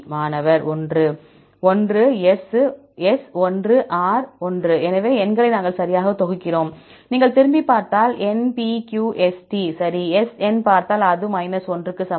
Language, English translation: Tamil, 1, S 1, R 1; so we group the numbers right, if you see back right NPQST, right S, N right, that is equal to 1